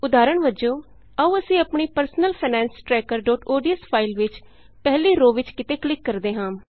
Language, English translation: Punjabi, For example in our personal finance tracker.ods file lets click somewhere on the first row